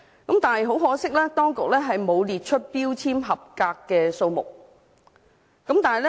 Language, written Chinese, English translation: Cantonese, 但是，很可惜，當局並沒有列出合格標籤的數目。, However very regrettably the Administration has never provided us with the information on the number of compliant food labels